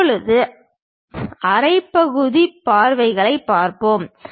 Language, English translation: Tamil, Now, we will look at half sectional views